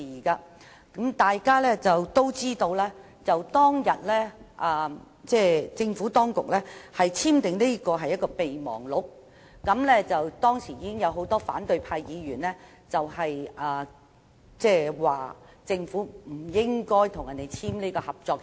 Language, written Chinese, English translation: Cantonese, 大家都知道，政府當局當天簽訂的是合作備忘錄，當時已有很多反對派議員反對政府簽訂合作協議。, Everyone knows that the Government signed a Memorandum of Understanding MOU on that day . At that time many opposition Members opposed the Governments signing of the cooperation agreement